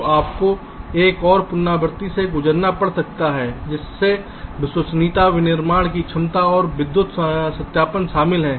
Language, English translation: Hindi, so you may have to go through another iteration which consist of reliability, manufacturability and electrical verification